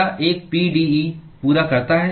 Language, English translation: Hindi, What makes a pde complete